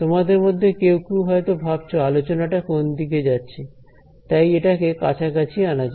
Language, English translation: Bengali, So, some of you must be wondering where is this discussion going so, let us try to bring it closer